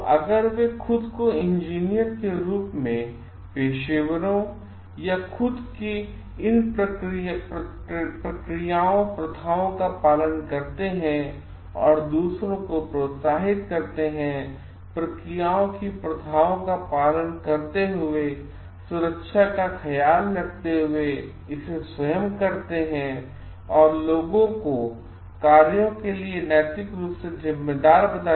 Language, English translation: Hindi, So, if they themselves as engineer s professionals, they themselves follow these procedures practices and encourages others to do it by themselves following the procedures practices, taking care of the safety of people and being morally responsible for the actions